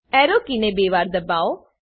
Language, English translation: Gujarati, Press the up arrow key twice